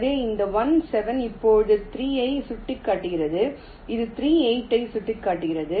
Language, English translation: Tamil, so this one seven was pointing to three, now it will be pointing to three